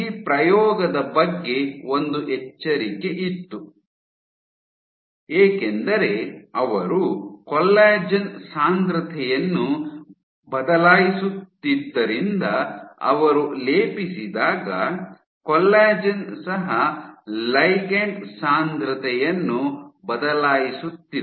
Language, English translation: Kannada, So, there was one caveat about this experiment that when she plated because she was changing the collagen concentration